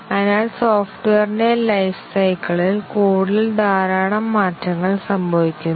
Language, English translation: Malayalam, So, throughout the life cycle of software, lots of changes occur to the code